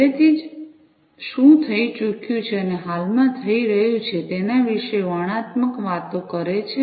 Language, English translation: Gujarati, Descriptive talks about what has already happened and is currently happening